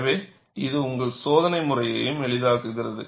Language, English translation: Tamil, So, that simplifies your testing methodology also